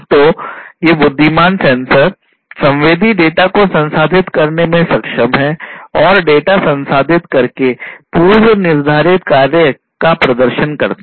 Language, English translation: Hindi, So, these intelligent sensors are capable of processing sensed data and performing predefined functions by processing the data